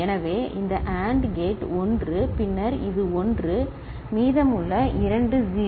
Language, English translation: Tamil, So, this AND gate 1 ok, then this is 1, the rest two are 0